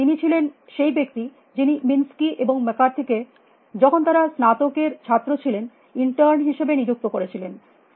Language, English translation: Bengali, He was the person who had hired Minsky and the McCarthy as in terns when they were graduate students